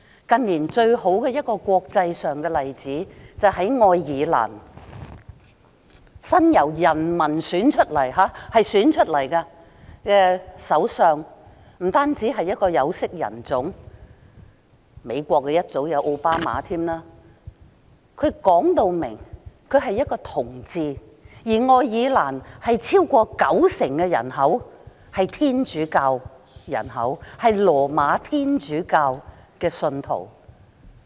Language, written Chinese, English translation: Cantonese, 近年，最好的一個國際上的例子，是愛爾蘭由人民選出來的首相，他不單是一位有色人種——美國早前也有奧巴馬總統——他更表明是一位同志，而愛爾蘭超過九成人口都是羅馬天主教的信徒。, In recent years the best example in the international world is Irelands prime minister who is elected by the Irish people . He is not only a person of colour―President OBAMA of the United States is another person of colour―he also declares that he is a gay . In the meantime over 90 % of the Irish population are Roman Catholics